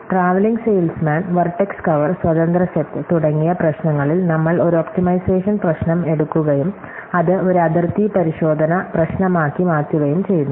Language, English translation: Malayalam, One thing to note is that in problems like traveling salesman, vertex cover and independent set, we took an optimization problem and converted it into a bounded checking problem